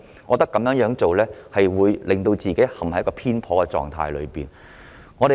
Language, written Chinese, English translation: Cantonese, 我認為，如是者，政府只會陷入偏頗的狀態。, I think that if the answer is yes the Government will become prejudiced